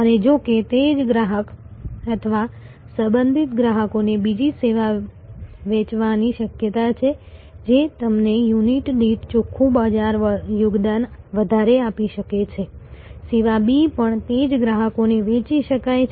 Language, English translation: Gujarati, And but; however, it is there is a possibility of selling to that same customer or related customers another service, which may give you a higher per unit net market contribution, that service B can also be sold to the same customer